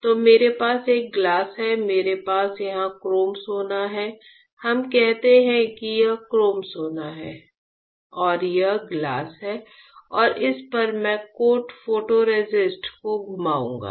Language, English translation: Hindi, So, I have a glass, I have here chrome gold let us say this is chrome gold, this is my glass on this I will spin coat photoresist right